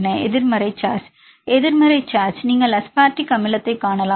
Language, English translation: Tamil, The negative charge; you can see the aspartic acid right